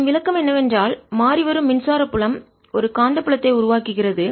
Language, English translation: Tamil, question number three relates to if a changing electric field did not give rise to a magnetic field